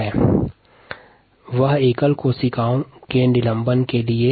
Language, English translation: Hindi, in this case that was for a suspension of single cells